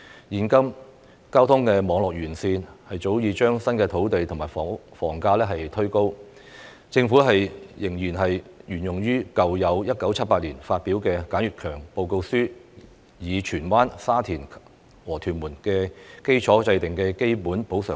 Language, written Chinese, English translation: Cantonese, 現時交通網絡完善早已推高新界土地及房價，但政府仍然沿用1978年發表的簡悅強報告書中，以荃灣、沙田和屯門為基礎制訂的基本補償率。, The improved transportation network at present has pushed up the prices of land and housing in the New Territories but the Government still uses the basic ex - gratia compensation rate in the Sir Y K KAN Working Group Report in 1978 with reference to the value of land in the towns of Tsuen Wan Sha Tin and Tuen Mun